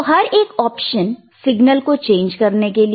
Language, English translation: Hindi, So, each of those options are used to change the signal